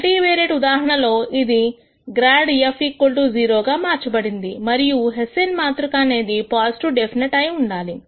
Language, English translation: Telugu, In the multivariate case these translate to grad f equal to 0 and the Hessian matrix being positive definite